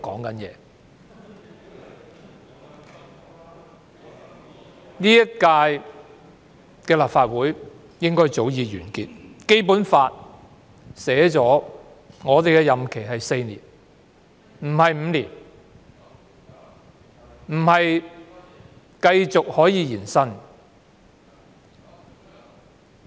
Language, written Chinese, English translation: Cantonese, 本屆立法會的任期早該完結，因為《基本法》訂明本會的任期是4年而非5年，亦不能延伸。, The current term of the Legislative Council should have already ended because the Basic Law stipulates that the term of this Council is four years rather than five years without any possible extension